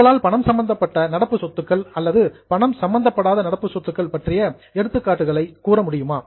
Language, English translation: Tamil, Now can you give examples of monetary current assets or non monetary current asset